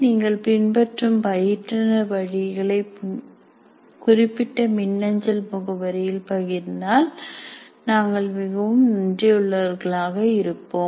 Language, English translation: Tamil, We'll be thankful if you can share the process you follow with the instructors at this particular email ID